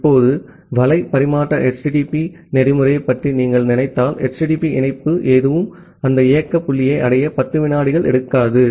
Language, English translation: Tamil, Now, if you think about the web transfer the HTTP protocol, so none of the HTTP connection takes 10 second to reach at that operating point